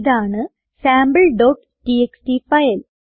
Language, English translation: Malayalam, Here is our sample.txt file